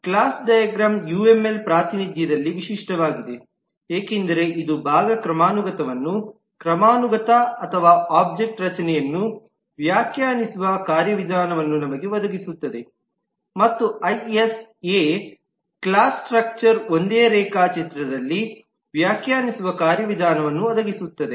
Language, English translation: Kannada, Class diagram is unique in the UML representation because it provides us the mechanism to define the part of hierarchy or the object structure and the IS A hierarchy of the class structure together in the same diagram